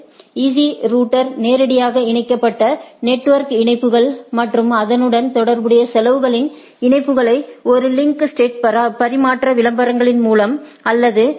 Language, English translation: Tamil, Easy router advertises a list of directly connected network links and is associated cost links; through a exchange of link state advertisements or LSAs right with other network right